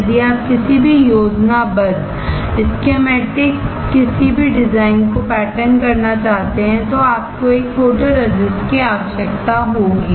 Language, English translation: Hindi, If you want to pattern any schematic any design you need to have a photoresist